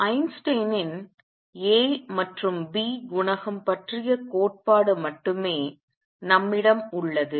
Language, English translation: Tamil, The only thing that we have is Einstein’s theory of a and b coefficient